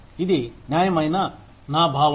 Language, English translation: Telugu, That is my sense of fairness